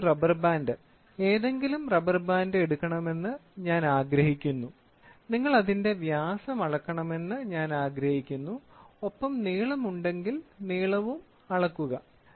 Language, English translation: Malayalam, So, the task for the student is I want you to take a rubber band, any rubber band and for this rubber band I want you to measure the diameter and if there is the length, if at all there is a length, so please measure the length also for the same